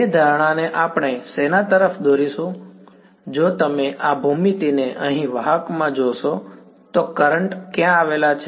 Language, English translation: Gujarati, That assumption we will lead to what, if you look at this geometry over here in a conductor where do the currents lie